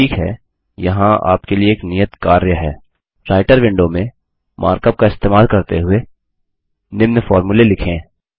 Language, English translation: Hindi, Okay, here is an assignment for you: In the Writer window, write the following formulae using Mark up